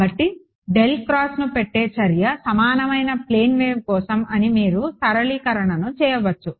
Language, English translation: Telugu, So, you can you can do this simplification that the act of putting del cross is for a plane wave equivalent to this ok